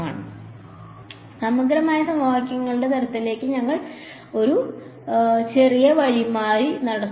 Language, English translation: Malayalam, So, we will just make a small detour to types of integral equations right